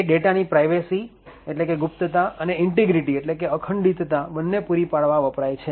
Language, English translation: Gujarati, It is used to provide both privacy as well as data integrity